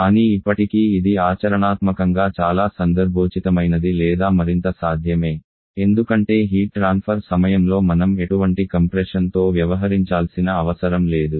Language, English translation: Telugu, But still this is practically much more relevant or much more possible because we do not have to deal with any compression during the heat transfer